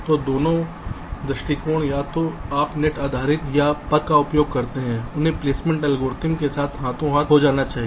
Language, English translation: Hindi, so both the approaches either you use the net based or path based they has to go hand in hand with the placement algorithm